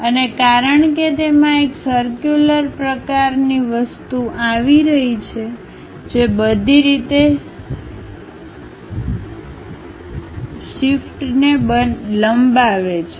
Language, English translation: Gujarati, And because it is having a circular kind of thing extending all the way shaft